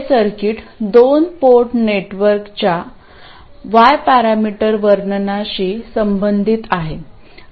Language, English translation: Marathi, This circuit is what corresponds to the Y parameter description of a 2 port network